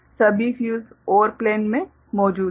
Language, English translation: Hindi, All the fuses are present in the OR plane ok